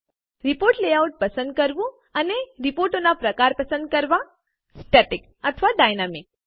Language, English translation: Gujarati, Select report layout and Choose report type: static or dynamic